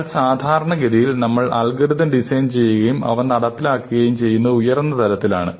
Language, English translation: Malayalam, But typically, we look at algorithms and we design them and we implement them at a higher level